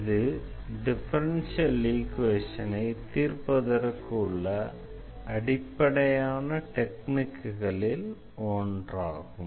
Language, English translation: Tamil, So, this is one of the very basic techniques which we use for solving differential equations